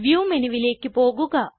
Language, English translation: Malayalam, Go to View menu